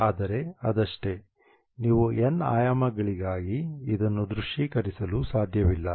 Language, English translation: Kannada, You cannot visualize this for n dimensions